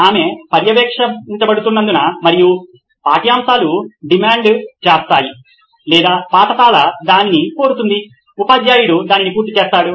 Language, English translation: Telugu, Because she is being monitored and the curriculum demands or the school demands that, the teacher completes it